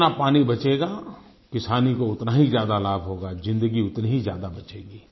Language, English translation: Hindi, Do remember, the more we save water, the more the farmers will benefit and more lives will be saved